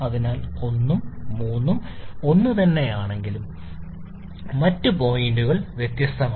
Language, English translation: Malayalam, So 1 and 3 are same but other points are different